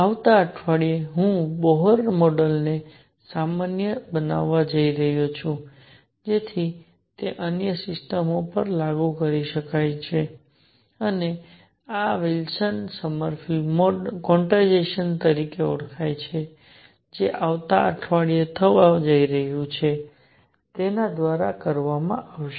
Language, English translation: Gujarati, Next week I am going to generalize Bohr model to, so that it can be applied to other systems also and this is going to be done through what is known as Wilson Sommerfeld quantization that is going to be done next week